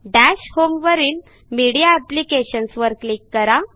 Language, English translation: Marathi, Click on Dash home Media Applications